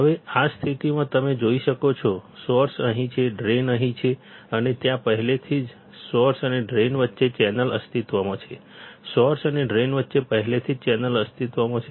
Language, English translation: Gujarati, Now, in this condition you can see, source is here, drain is here and there already channel exists in between source and drain; there is already channel existing between source and drain